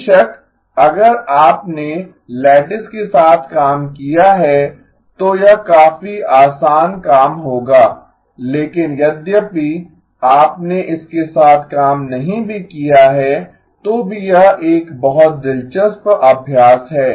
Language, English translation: Hindi, Of course, if you have worked with lattices, this would be quite an easy task but in even if you have not worked with it, it is a very interesting exercise